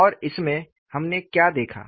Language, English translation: Hindi, And, in this, what we saw